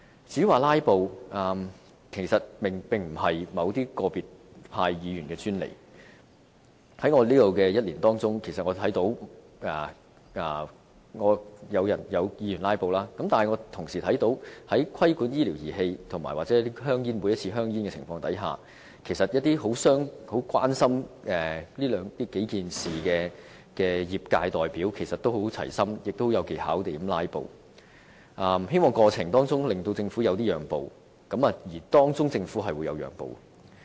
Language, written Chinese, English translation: Cantonese, 至於"拉布"，其實並不是個別派別議員的專利，在我擔任立法會議員的這1年，我看到有議員"拉布"，但我同時看到當討論規管醫療儀器或修訂香煙健康忠告的覆蓋範圍的議案時，一些十分關心這數件事的業界代表，也十分齊心，並有技巧地"拉布"，希望在這個過程中，令政府作出一些讓步，而政府是讓了步的。, Indeed the filibuster tactic is not a monopoly of Members of a particular camp . In my first - year career as Member I have witnessed some Members employing the tactic of filibustering . Yet during the respective debates on the regulation of medical devices and the coverage of health warning for soft pack cigarettes I have also seen some other Members representing the relevant industries who are very concerned about the issues skilfully filibustering in their joint efforts to press for concessions from the Government